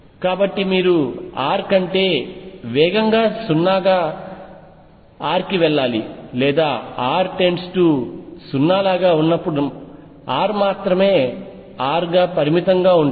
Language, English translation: Telugu, So, you should go to 0 as r tends to 0 faster than r or as r then only r would remain finite as r goes to 0